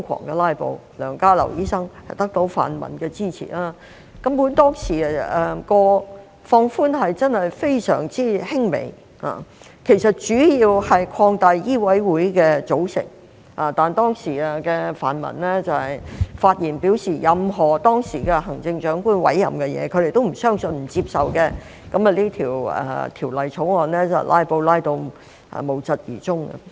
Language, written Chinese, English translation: Cantonese, 當時梁家騮醫生得到泛民的支持瘋狂"拉布"，當時建議的放寬根本真的非常輕微，主要是擴大香港醫務委員會的組成，但當時的泛民發言表示，對於當時行政長官的任何委任，他們也不相信、不接受，於是該條例草案被"拉布"至無疾而終。, However the bill could not be passed as Dr LEUNG Ka - lau focused his strength on filibustering at that time . With the support of pan - democratic Members Dr LEUNG Ka - lau filibustered frantically . The proposed relaxation back then was very minor indeed mainly expanding the composition of the Medical Council of Hong Kong; however the pan - democratic Members at that time said in their speeches that they neither believed in nor accepted any appointment made by the then Chief Executive so the bill disappeared into obscurity as a result of filibustering